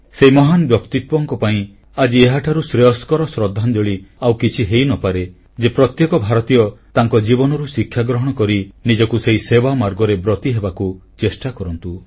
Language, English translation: Odia, There cannot be any other befitting tribute to this great soul than every Indian taking a lesson from her life and emulating her